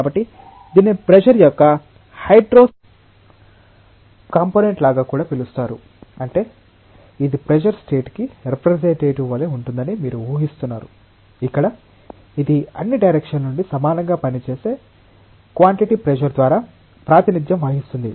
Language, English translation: Telugu, So, this is also called as something like a hydrostatic component of stress; that means, you are assuming that it is like it is representative of a state of stress, where it is represented by a quantity pressure which acts equally from all directions